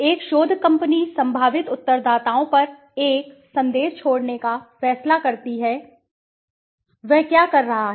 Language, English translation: Hindi, A research company decides to leave a message on prospective respondents, what is he doing